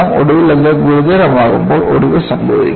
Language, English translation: Malayalam, And eventually, when it becomes critical, fracture will occur